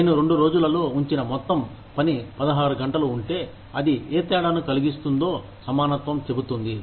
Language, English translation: Telugu, Equitability says, that if the total amount of work, i put in on two days is 16 hours, what difference does it make